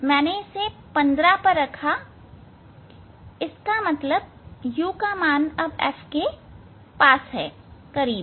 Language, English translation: Hindi, I kept at it is 15; that means, this u value now it is it is close to the f